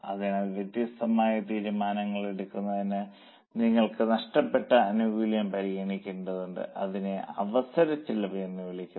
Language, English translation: Malayalam, So, that is how for making variety of decisions we need to consider the benefit which you have lost and that is called as an opportunity cost